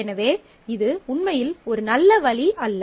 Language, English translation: Tamil, So, this is really not a good option